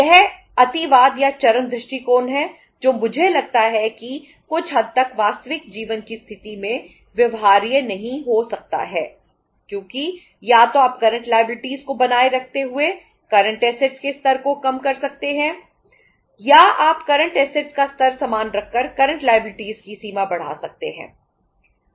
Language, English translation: Hindi, This is the extremism or the extreme approach which I think to some extent may not be viable in the real life situation because either you can decrease the level of current assets keeping the current liability same